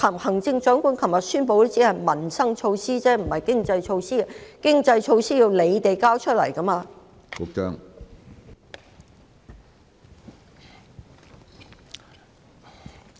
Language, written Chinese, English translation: Cantonese, 行政長官昨天宣布的只是民生措施，不是經濟措施，而經濟措施要由當局提交出來的。, What the Chief Executive announced yesterday are only livelihood measures but not economic measures and economic measures must be proposed by the authorities